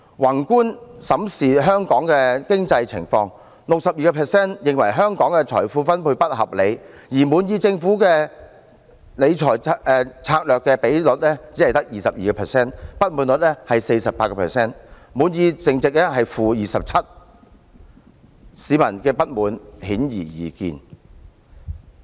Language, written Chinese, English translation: Cantonese, 宏觀審視香港的經濟情況，有 62% 人認為香港財富分配不合理，而滿意政府理財策略的人只有 22%， 不滿意比率是 48%， 滿意淨值是 -27%， 市民的不滿顯而易見。, Taking a macroscopic view of Hong Kongs economy we find that 62 % of people consider the distribution of wealth in Hong Kong unreasonable and only 22 % of people are satisfied with the Governments strategy in monetary arrangement . With a dissatisfaction rate standing at 48 % and net satisfaction rate at - 27 % it is obvious that the people are dissatisfied